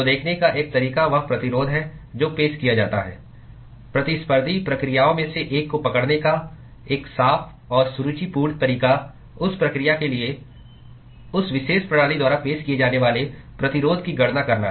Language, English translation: Hindi, So one way to look at is the resistance that is offered a clean and elegant way to capture the one of the competing processes is to calculate the resistance that is offered by that particular system for that process